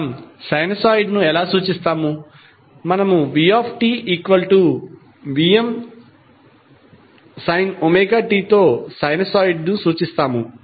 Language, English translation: Telugu, We represent sinusoid like vT is equal to vM sine omega T